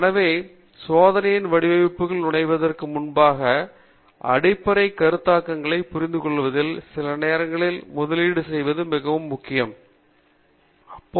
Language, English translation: Tamil, So before we jump into the design of experiments, it is really worthwhile to invest some time in understanding the basic concepts